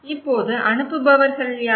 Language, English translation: Tamil, Now, who are the senders